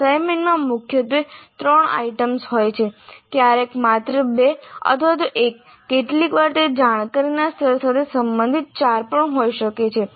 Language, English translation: Gujarati, So, assignments dominantly will have up to three items, sometimes only two or even one, sometimes it may be even four belonging to the cognitive level apply